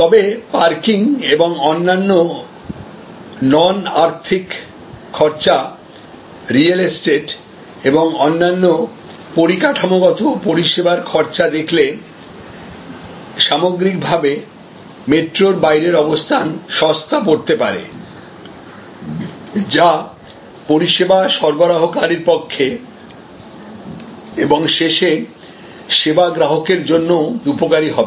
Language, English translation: Bengali, However, in terms of parking, in terms of other various non monetary costs and in terms of the real estate cost and other infrastructural service costs that outside metro location may provide an overall economy, which will be beneficial both for the service provider and ultimately for the service consumer